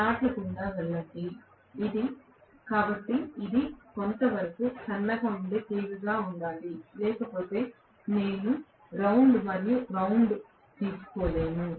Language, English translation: Telugu, Go through the slots and so on, so it has to be somewhat thinner wire otherwise I will not be able to take round and round